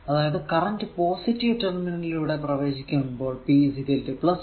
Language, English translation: Malayalam, So, current actually entering through the negative terminal